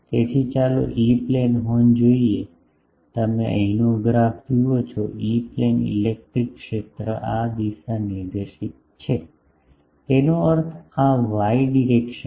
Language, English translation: Gujarati, So, let us see the E plane horn that you see the graph here, the E plane the electric field is this directed; that means this y direction